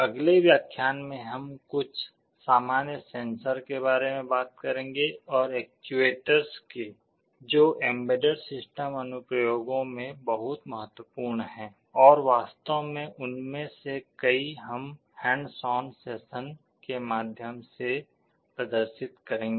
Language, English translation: Hindi, In the next lectures, we shall be talking about some of the common sensors and actuators that are very important in embedded system applications, and many of them we shall be actually demonstrating through the hands on sessions